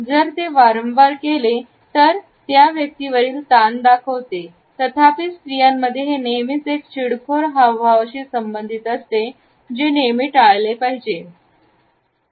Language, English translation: Marathi, If it is repeatedly done; it showcases the tension of a person; however, in women it is often associated with a flirtatious gesture and it should be avoided